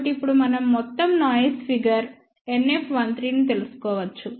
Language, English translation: Telugu, So, now we can find out overall noise figure NF 1 3